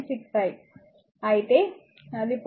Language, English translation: Telugu, 6 I so, it will be 0